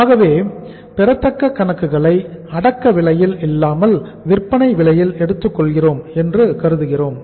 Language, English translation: Tamil, So accounts receivable we assume at the selling price not at the cost price